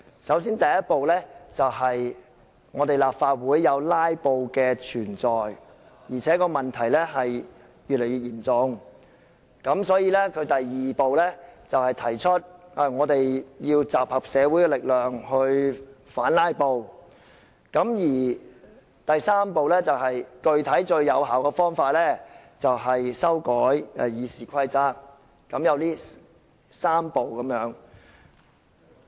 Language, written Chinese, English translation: Cantonese, 首先，第一步是由於立法會出現"拉布"的情況，而且越來越嚴重，所以，第二步便提出要集合社會的力量來反"拉布"，而第三步便是採取最有效的具體方法，亦即修改《議事規則》。, The first step is to state that the problem of filibusters in the Legislative Council is becoming serious . Hence they propose the second step that is to muster the power in the community to oppose filibusters . The third step is to adopt a specific approach with the maximum effect that is to amend RoP